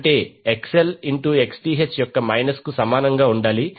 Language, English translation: Telugu, That is XL should be equal to minus of Xth